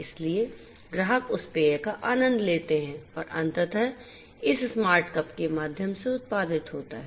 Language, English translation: Hindi, So, customers there after enjoy the beverage that is finally, produced through this smart cup